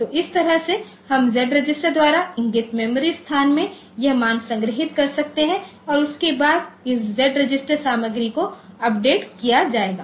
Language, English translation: Hindi, So, that way we can have this value stored in the memory location pointed to by Z register after that this Z register content will be updated